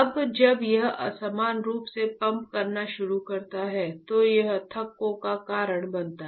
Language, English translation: Hindi, Now when it starts pumping unevenly, it causes clots ok